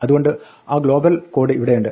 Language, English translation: Malayalam, So here is that global code